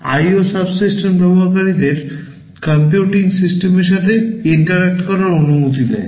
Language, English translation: Bengali, The IO subsystem allows users to interact with the computing system